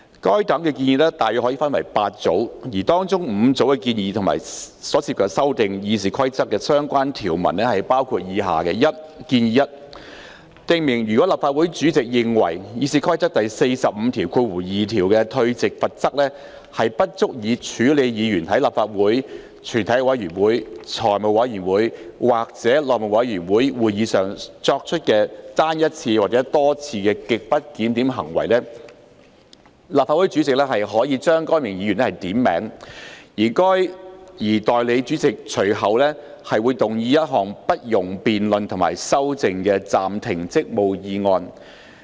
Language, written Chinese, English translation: Cantonese, 該等建議可分為8組，當中5組建議涉及修訂《議事規則》的相關條文，包括：―建議 1： 訂明如立法會主席認為《議事規則》第452條的退席罰則不足以處理議員在立法會、全體委員會、財務委員會或內務委員會會議上作出的單一次或多次極不檢點行為，立法會主席可將該議員點名，而代理主席隨即動議一項不容辯論及修正的暫停職務議案。, The proposals can be divided into eight groups and five of them which involve amending the relevant rules of RoP are set out as follows - Proposal 1 to set out that if by reason of grossly disorderly conduct of a Member committed in a single instance or multiple instances in a meeting of the Legislative Council the committee of the whole Council the Finance Committee or the House Committee the President of the Legislative Council is of the opinion that his powers under RoP 452 regarding the withdrawal sanction are inadequate with respect to such grossly disorderly conduct the President may name such Member